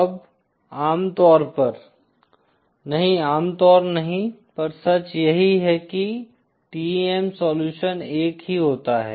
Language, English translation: Hindi, Now usually, not usually itÕs always true that there is a single TEM solution